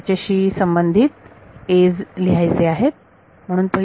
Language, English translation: Marathi, I have to write the corresponding a’s